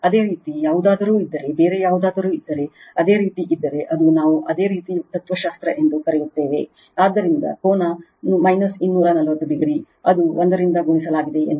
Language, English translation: Kannada, If you have any if you have any other thing if you have that is that is your what we call that is your philosophy right, so V p angle minus 240 degree, suppose it is multiplied by 1